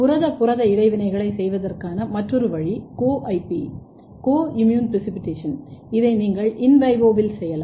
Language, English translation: Tamil, Another way of doing protein protein interaction is Co IP, co immune precipitation this you can do in vivo